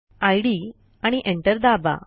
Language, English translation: Marathi, dot txt and press enter